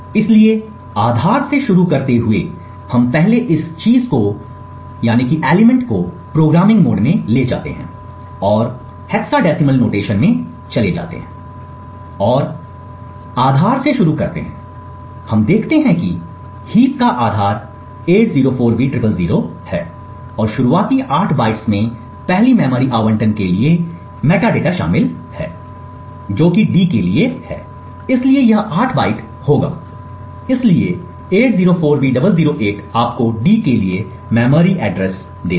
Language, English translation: Hindi, So starting from the base so we first move this thing into the programming mode and move to the hexadecimal notation and let us start out from the base and we see that the base of the heap is 804b000 and the initial eight bytes comprises of the metadata for the first memory allocation that is for d that is so it would be 8 bytes so 804B008 gives you the memory address for d